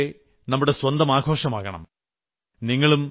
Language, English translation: Malayalam, Just like Diwali, it should be our own festival